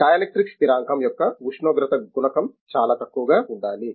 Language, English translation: Telugu, The temperature coefficient of dielectric constant has to be very very low like that